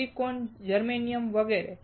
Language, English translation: Gujarati, Silicon, Germanium etc